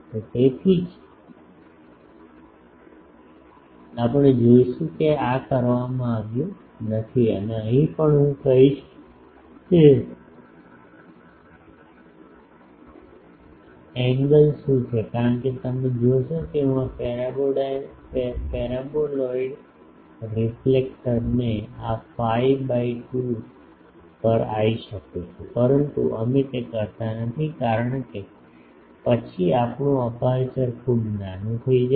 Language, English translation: Gujarati, So, that is why we will see that this is not done and also here I will say that what is the angle because, you see that though I can make this paraboloid reflector come to this phi by 2, but we do not do that because then the our aperture becomes very small